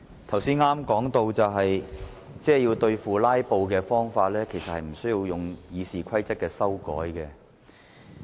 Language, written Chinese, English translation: Cantonese, 主席，我剛才談到對付"拉布"的方法，其實不需要修訂《議事規則》。, President I was talking about how to deal with filibustering . In fact there is no need to amend RoP